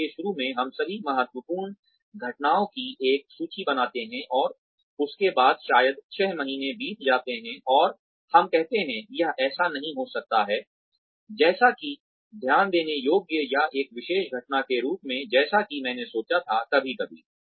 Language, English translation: Hindi, So initially, we make a list of all the critical incidents, and then after maybe six months pass by, and we say, may be this was not, as noticeable or as special as, an event, as I thought it to be, sometime back